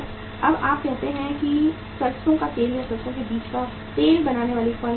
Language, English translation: Hindi, Now you think about a firm manufacturing the say this sarson oil or the mustard seed oil